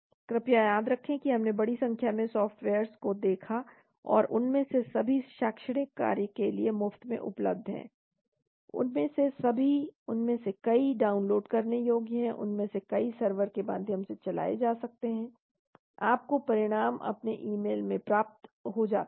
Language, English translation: Hindi, Please remember that we looked at a huge number of softwares and all of them are free for academic, all of them, many of them are downloadable, many of them could be run through server you get the results into your email and so on